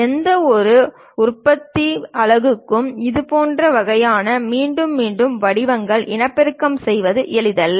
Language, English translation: Tamil, It might not be easy for any manufacturing unit to reproduce such kind of repeated patterns